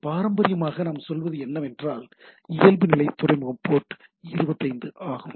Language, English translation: Tamil, Traditionally, traditionally means what we say, default port is port 25